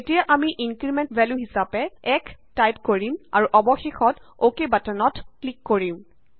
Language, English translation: Assamese, Now we set the Increment value as 1 and finally click on the OK button